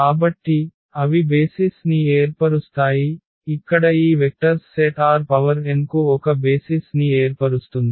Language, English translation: Telugu, So, they form the basis so, we got a basis for this R n, this set of vectors here this forms a basis for R n